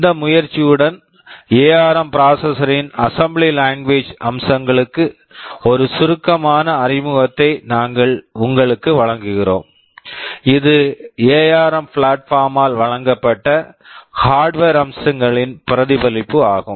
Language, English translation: Tamil, With this motivation we are giving you a brief introduction to the assembly language features of the ARM processor that is a reflection of the hardware features that are provided by the ARM platform